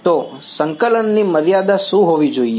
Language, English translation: Gujarati, So, what should be the limits of integration